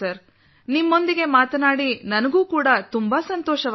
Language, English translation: Kannada, I was also very happy to talk to you